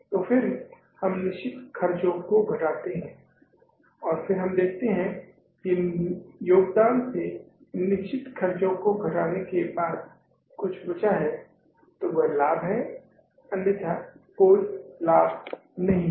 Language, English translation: Hindi, So, then we subtract the fixed expenses from the contribution and then we see that after subtracting the fixed expenses from the contribution, if something is left, then that is a profit, otherwise there is no profit